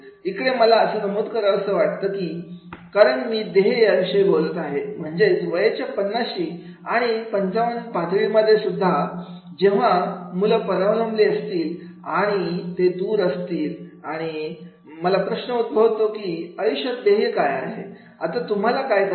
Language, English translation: Marathi, Here I would also like to mention because I am talking about the goal that is at the life stage of the 50s and 55 when the children are they independent and they are away and now the question arises what is goal of your life